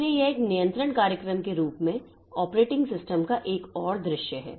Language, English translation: Hindi, So, this is another view of the operating system so as a control program